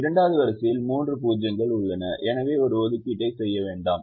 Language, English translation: Tamil, the second row has three zeros, so don't make an assignment